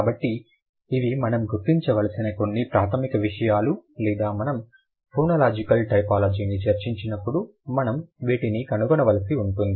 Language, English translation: Telugu, So, these are the, these are a couple of basic things we need to figure out or we need to find out when we discuss phonological typology